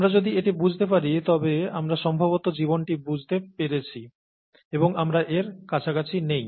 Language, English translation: Bengali, If we understand this, then we have probably understood life, and, we are nowhere close to this